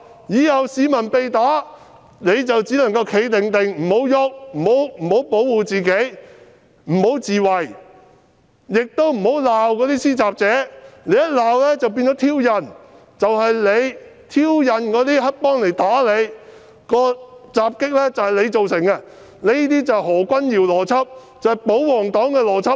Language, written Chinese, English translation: Cantonese, 以後市民被打，便只能"企定定"，不能動、不能保護自己、不能自衞，亦不能罵施襲者，因為你罵對方便是挑釁，是你自己挑釁黑幫打你，襲擊是你自己造成的，這正是何君堯議員的邏輯，也是保皇黨的邏輯。, From now on people being assaulted can only stand still; they cannot move or protect themselves or scold the attacker because if you do you would be provoking the attacker and it would be you yourself who provoked the triad members to assault you so you only have yourself to blame for the attack . This is precisely the logic of Dr Junius HO and the logic of the royalist camp